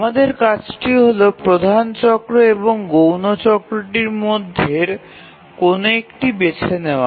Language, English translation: Bengali, Now our task is to choose the major cycle and the minus cycle